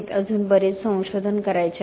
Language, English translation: Marathi, There is still lot of research to do